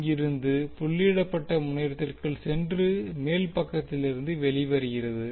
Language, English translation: Tamil, I 2 will go inside the dotted terminal from here and come out from the upper side